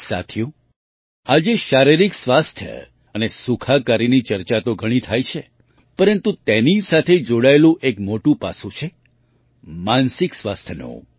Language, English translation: Gujarati, Friends, today there is a lot of discussion about physical health and wellbeing, but another important aspect related to it is that of mental health